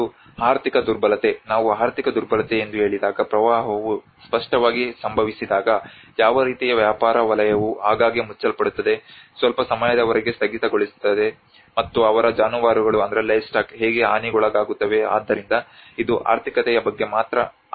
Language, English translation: Kannada, And the economic vulnerability: When we say economic vulnerability, when the flood happens obviously what kind of business sector often closes down, shuts down for a period of some time and or how their livestock gets damaged so this is all about the economical